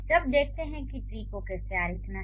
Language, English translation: Hindi, So, now let's see how to draw the tree